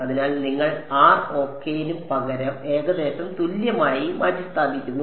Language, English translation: Malayalam, So, you replace rho as approximately equal to R ok